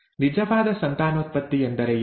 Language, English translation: Kannada, What does true breeding mean